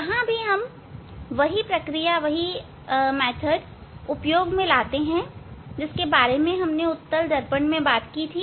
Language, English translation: Hindi, Here also this similar procedures as we have discussed for convex mirror